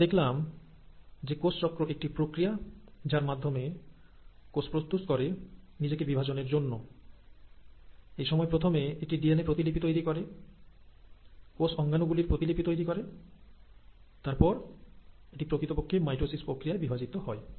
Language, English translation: Bengali, So, we saw today that cell cycle is a process by which cell prepares itself to divide and in the process of doing it, it duplicates its DNA first, it duplicates its cell organelles, and then it actually divides to the process of mitosis